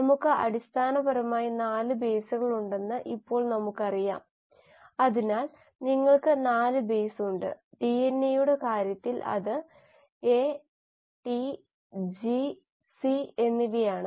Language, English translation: Malayalam, Now we know we basically have 4 bases, so you have 4 bases; in case of DNA it is A, T, G and C